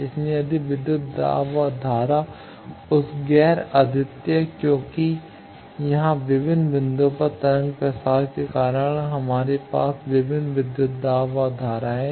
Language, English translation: Hindi, So, if voltage and current that non unique because here what happens due to wave propagation at various points we have various voltages and currents